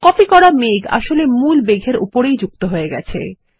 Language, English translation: Bengali, The copied cloud has been pasted on the top of the original cloud